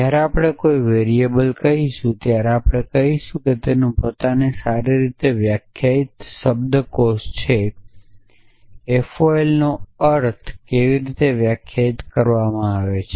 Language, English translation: Gujarati, So, when we say a variable we will say that it has its own well define semantics how is the semantics of FOL defined